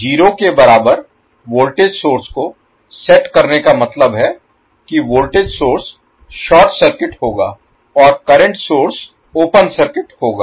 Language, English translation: Hindi, Setting voltage source equal to 0 means the voltage source will be short circuited and current source will be the open circuited